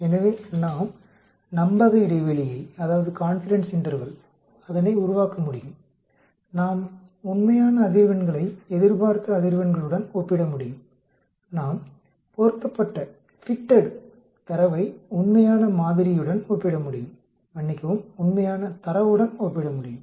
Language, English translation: Tamil, So, we can construct confidence interval, we can compare actual frequencies with expected frequencies; we can compare fitted data versus the real model, sorry, with the real data